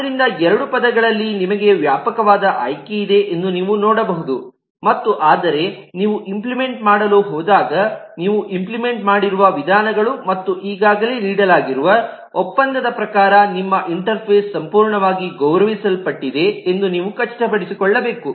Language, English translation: Kannada, So you can see that, on on both terms, you have a wider set of choice and eh, but when you go to implement you will have to make sure that your interface is completely honored in terms of the methods that you are in implementing, as well as the contract that has already been given